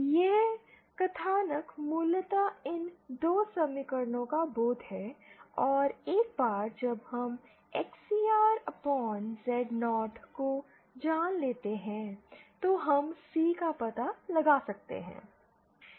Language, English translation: Hindi, This plot is basically a realisation of these 2 equations and once we know XCR upon Z0, we can find out C